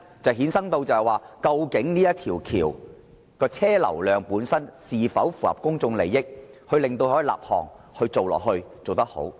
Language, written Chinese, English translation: Cantonese, 第一，港珠澳大橋的車流量必須符合公眾利益，才可立項並予繼續推行。, First a prerequisite for project initiation and continued implementation should be that the vehicular flow volume of HZMB be large enough to be in public interest